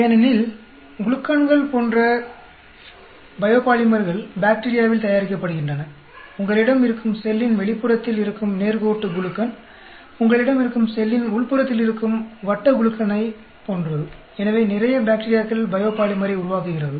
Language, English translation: Tamil, Because biopolymers like glucans are produced with bacteria, like you have linear glucan which are extra cellular, you can have cyclic glucan which are intra cellular; so lot of bacteria produces biopolymer